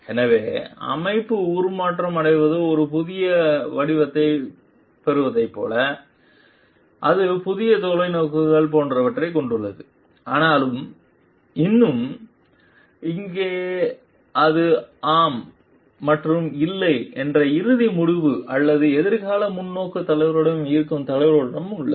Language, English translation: Tamil, And so that like the organization transforms and gets a new shape it is a new vision etcetera, but still here it is the leader with whom the ultimate decision of yes and no remains or the future perspective remains with the leader